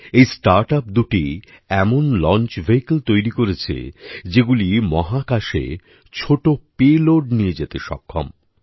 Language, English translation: Bengali, These startups are developing launch vehicles that will take small payloads into space